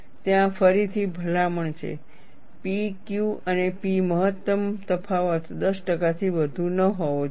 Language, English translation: Gujarati, There again, the recommendation is P Q and P max difference should not exceed 10 percent